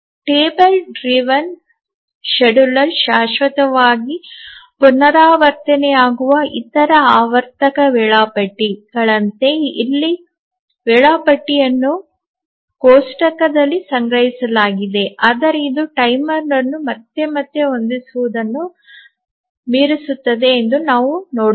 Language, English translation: Kannada, So, the schedule here is stored in a table as in the case of other cyclic scheduler that the table driven scheduler which is repeated forever but we will see that it overcomes setting a timer again and again